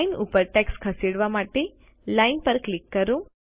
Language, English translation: Gujarati, To move the text above the line, click on the line